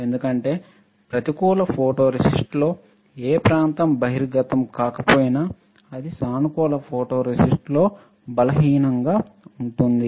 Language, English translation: Telugu, Because in negative photoresist, whatever area is not exposed will be weaker in positive photoresist